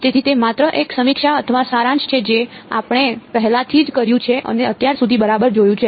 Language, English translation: Gujarati, So, it is just a review or a summary of what we have already done and seen so far ok